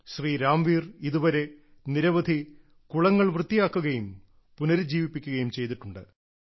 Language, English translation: Malayalam, So far, Ramveer ji has revived many ponds by cleaning them